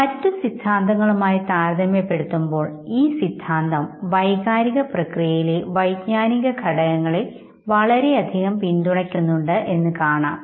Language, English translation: Malayalam, Now compared to other theories, this theory overwhelmingly support the significance of cognitive factors in emotional processes